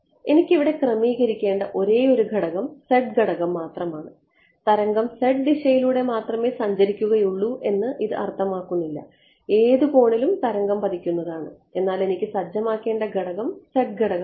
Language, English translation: Malayalam, The only parameter that I had to set over here was the z parameter this does not mean that the wave is travelling only along the z direction the wave is incident at any angle, but the parameter that I need to set is the z parameter